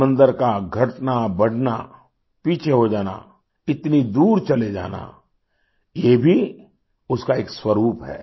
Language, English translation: Hindi, Advancing, receding, moving back, retreating so far away of the sea is also a feature of it